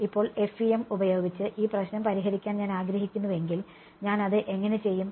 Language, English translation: Malayalam, Now, if I wanted to solve this problem using FEM, how would I do it